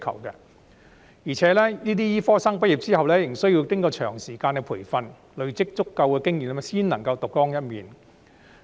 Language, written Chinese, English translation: Cantonese, 而且，這些醫科生畢業之後，仍需要經過長時間培訓，累積足夠經驗才能夠獨當一面。, Besides those medical graduates need to undergo a long period of training and accumulate sufficient experience to be able to work independently